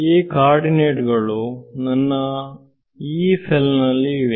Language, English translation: Kannada, These are the coordinates that are on my Yee cell